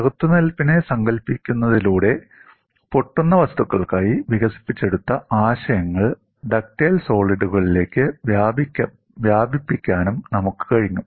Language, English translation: Malayalam, And we have also looked at by conceptualizing resistance we have been able to extend whatever the concepts developed for brittle materials to ductile solids